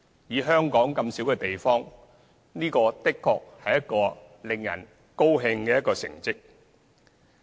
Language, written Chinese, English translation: Cantonese, 以香港這樣小的地方，這的確是一個令人高興的成績。, Given that Hong Kong is a small place such an achievement is indeed gratifying